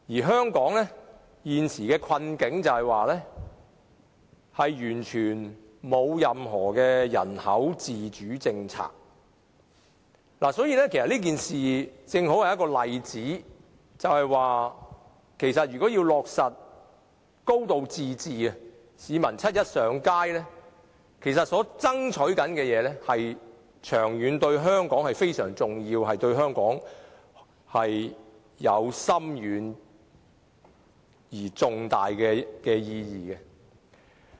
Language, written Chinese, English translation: Cantonese, 香港現時的困境，在於我們完全沒有自主的人口政策，所以，市民七一上街爭取落實"高度自治"，其實對香港的長遠發展至為重要，亦對香港有深遠而重大的意義。, Hong Kongs current difficult situation is totally caused by our lack of any self - formulated population policy . Hence people take to the streets on 1 July to strive for a high degree of autonomy . This act is indeed extremely important for Hong Kongs long - term development and is also of great and profound importance to Hong Kong